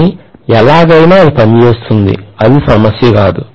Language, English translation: Telugu, But either way, it will work, that’s not a problem